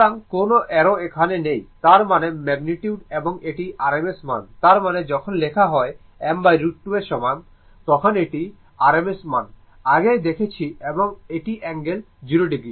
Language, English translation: Bengali, So, no arrow is here means this is the magnitude and this is your rms value; that means, when you write I is equal to I m by root 2 it is rms value, right